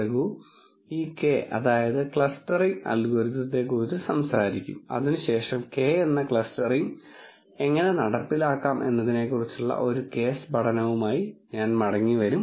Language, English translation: Malayalam, Raghu will talk about this k means clustering algorithm after which I will come back with a case study on how to implement k means clustering